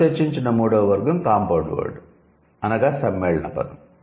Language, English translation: Telugu, And the third category what we discussed is the compound word